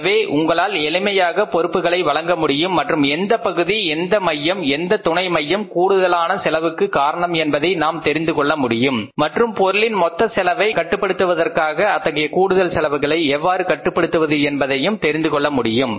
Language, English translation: Tamil, So, you can easily fix up the responsibility and we can come to know which part which unit subunit is causing the additional cost and how it can be controlled so that the total cost of the product can be kept under control